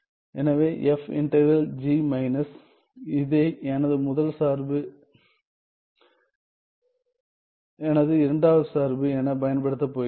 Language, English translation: Tamil, So, f integral g minus well I am going to use this as my first function this as my second function